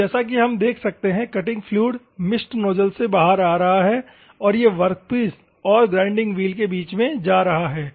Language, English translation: Hindi, So, as we can see, the cutting fluid mist is coming out of the nozzle and it is going in between the workpiece and the grinding wheel